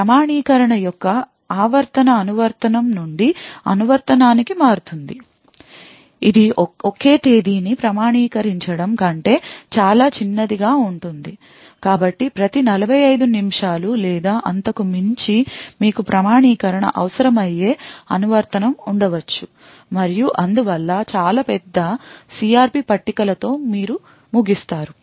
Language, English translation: Telugu, So the periodicity of the authentication would vary from application to application, it could be much smaller than authenticating a single date so there could be application where you require authentication every say 45 minutes or so and therefore you would end up with very large CRP tables